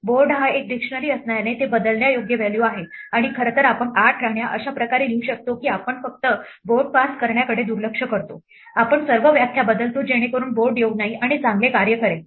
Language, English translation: Marathi, Since board is a dictionary, it is a mutable value and in fact we can write 8 queens in such a way that we just ignore passing the board around, we change all the definitions so that board does not occur and works fine